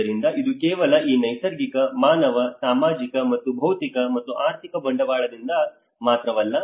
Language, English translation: Kannada, So it is not just only because of this natural, human, social and physical and financial capital